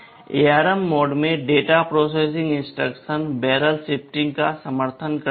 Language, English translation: Hindi, Data processing instructions in ARM mode supports barrel shifting